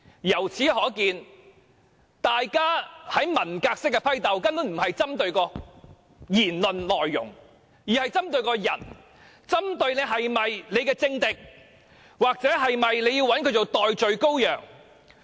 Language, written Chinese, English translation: Cantonese, 由此可見，大家文革式的批鬥，根本並非針對言論的內容，而是針對個人，針對他是否政敵，或是否要找他當代罪羔羊。, It is thus evident that the purge resembling the Cultural Revolution is in fact not about the contents of the remarks . Instead it is personal . It is about whether he is a political enemy or whether there is the need to make him a scapegoat